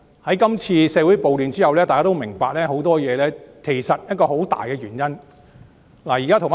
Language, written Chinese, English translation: Cantonese, 在今次社會暴亂之後，大家都明白發生的很多事情背後有一個很大的原因。, After the outbreak of riots in society we all understand that there is a major cause behind many problems